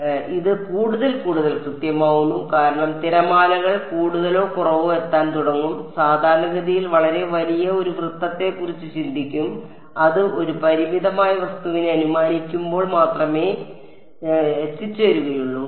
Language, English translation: Malayalam, So, this becomes more and more accurate because waves will more or less begin to reach normally think of a very large circle right whatever reaches that will reach only normally assuming a finite object